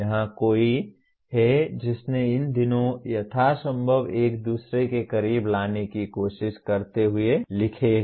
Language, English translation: Hindi, Here is someone who has written these two trying to bring them as close to each other as possible